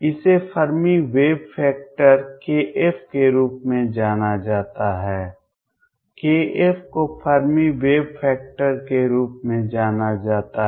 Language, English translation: Hindi, This is known as Fermi wave factor k, k f is known as Fermi wave vector